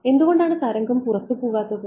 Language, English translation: Malayalam, Why would not the wave go out